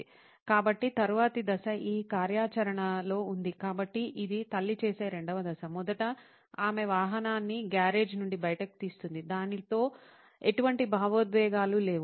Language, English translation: Telugu, So, the next stage is during this activity so this is the second stage of what the mom does is first she gets the vehicle out of the garage, no emotions associated with that